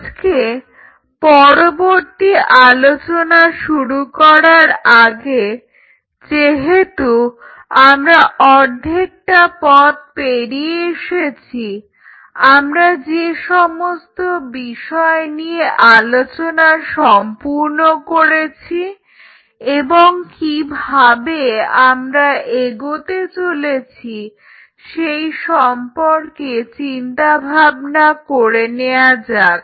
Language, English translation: Bengali, Today before we proceed further since we are halfway through we will just take a stock of what all we have covered and how we are going to proceed further